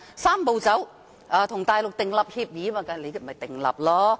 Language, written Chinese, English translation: Cantonese, "三步走"、與內地訂立協議，就這樣做吧。, Just proceed to reach an agreement with the Mainland under the Three - step Process